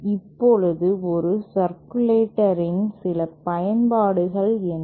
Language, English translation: Tamil, Now what are some applications of a circulator